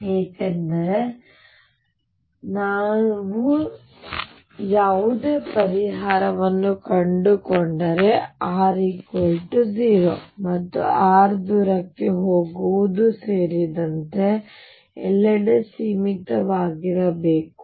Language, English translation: Kannada, Because psi should be finite, if I whatever solution I find r should be finite everywhere including r equals 0 and r going far away